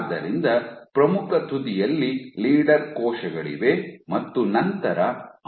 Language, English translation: Kannada, So, you have leader cells right at the leading edge and you have follower cells